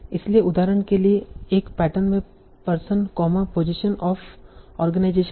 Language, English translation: Hindi, So for example, one pattern can be person, comma, position of organization